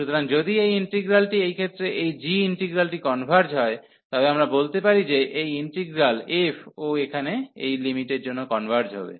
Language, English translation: Bengali, So, if this integral converges in this case this g integral, then we can tell that this integral f will also converge because of this limit here